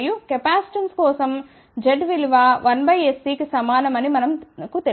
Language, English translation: Telugu, And, we know that for a capacitance z is equal to 1 over S C